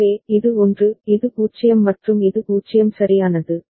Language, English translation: Tamil, So, this is 1, this is 0 and this is 0 right